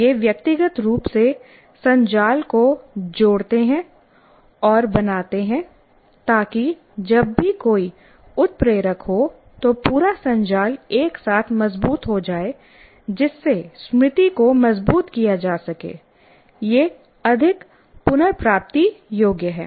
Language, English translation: Hindi, These individual n grams associate and form networks so that whenever one is triggered, the whole network together is strengthened, thereby consolidating the memory, making it more retrievable